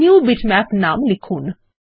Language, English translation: Bengali, Lets enter the name NewBitmap